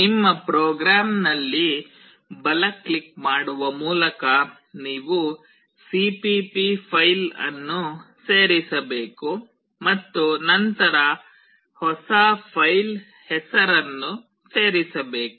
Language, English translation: Kannada, You have to add the cpp file by right clicking on your program and then add a new filename